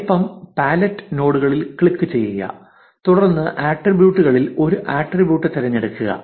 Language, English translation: Malayalam, Click on the size pallet nodes and then attributes and choose an attribute